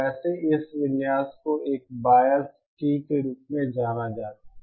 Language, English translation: Hindi, This configuration by the way is known as a biased T